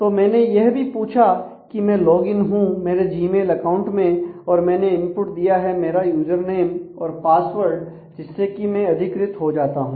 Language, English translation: Hindi, So, if I have asked for say logged in to the my mail Gmail service then I have given the input as my user name password and when that got gets authenticated